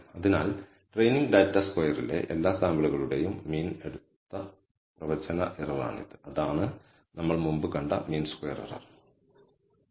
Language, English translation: Malayalam, So, this is the prediction error on the training data square over all the samples and taken the average, that is the mean squared error that we have seen before